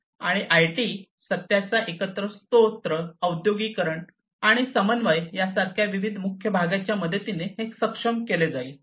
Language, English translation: Marathi, And this will be enabled with the help of different key parts such as IT, single source of truth, industrialization, and coordination